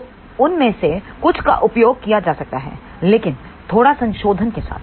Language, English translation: Hindi, So, some of those can be used, but with little modification